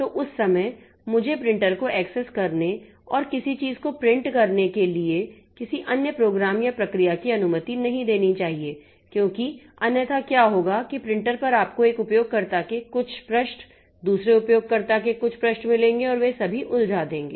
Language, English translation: Hindi, Now, this printer when if some program is or some process or program or some user printing something on onto the printer, so at that time I should not allow any other program or process to access the printer and print something because otherwise what will happen is that on the printer you will get some pages from one user, some other pages from other user and they will all be jumbled up